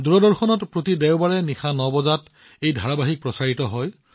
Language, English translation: Assamese, It is telecast every Sunday at 9 pm on Doordarshan